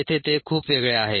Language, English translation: Marathi, here it is very different